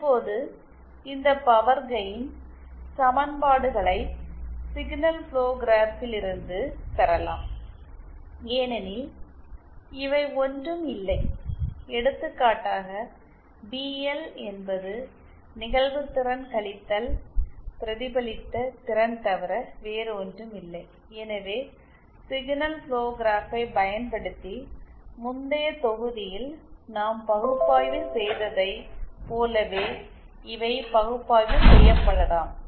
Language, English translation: Tamil, Now these power gain equations can be obtained from the signal flow graph because these are nothing that for example PL is nothing but the incident power minus the reflected power so these can be analyzed in the same way that we analyzed in the previous module using signal flow graphs